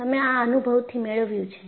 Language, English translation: Gujarati, You have got it by experience